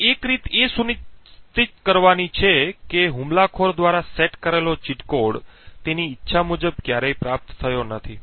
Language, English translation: Gujarati, So, one way is to make sure that the cheat code set by the attacker is never obtained as per his wishes